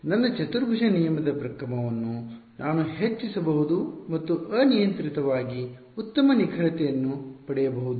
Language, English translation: Kannada, I can increase the order of my quadrature rule and get arbitrarily good accuracy right